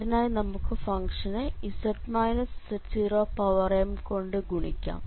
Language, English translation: Malayalam, So, if you multiply both side with z minus z 0 power m